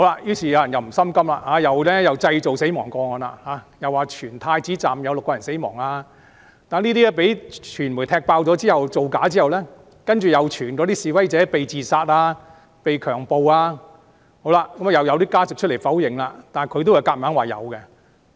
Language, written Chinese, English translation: Cantonese, 於是，有人不甘心，製造死亡個案，傳言太子站有6人死亡，當被傳媒踢爆造假後，又傳有示威者被自殺、被強暴，即使有家屬否認，但他們仍強說確有其事。, They then fabricated death cases spreading rumours that six persons died in the Prince Edward Station . When the media exposed that those rumours were fabrications they spread rumours about protesters being subjected to suicide or being raped and they insisted that such incidents did happen even when family members of the victims have denied them